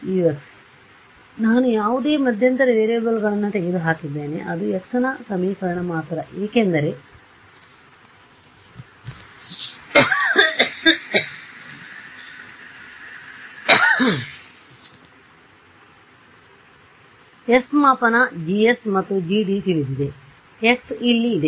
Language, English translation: Kannada, Now, I have eliminated any intermediate variables it's only an equation in x right, because s is measurement, G S is known, G D is known, I have my x over here, I have my x over here